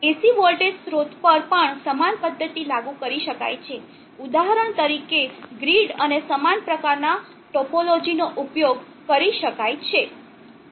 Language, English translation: Gujarati, The same method can be applied even to AC voltage sources for example, the grid and similar type of topology can be used